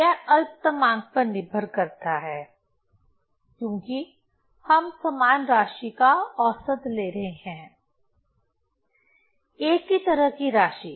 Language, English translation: Hindi, So, it depends on list counts since we are taking average of the similar, similar kind of quantity